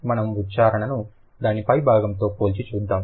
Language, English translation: Telugu, Let's compare the pronunciation with top, the top of it